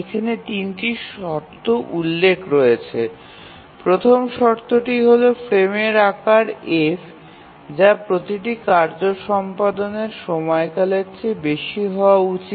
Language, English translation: Bengali, The first condition is that the frame size F must be greater than the execution time of every task